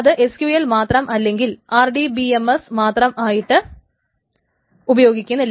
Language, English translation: Malayalam, It doesn't use only SQL or the RDBMS